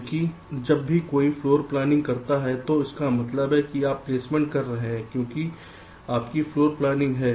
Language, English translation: Hindi, because whenever do a floor planning, it means you are doing placement, because your floor is restricted, means you see your chip area